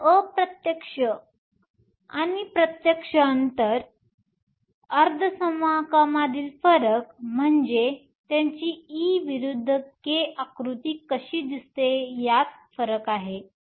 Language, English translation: Marathi, So, the difference between a direct band and an indirect gap semiconductor is a difference between how their e versus k diagrams look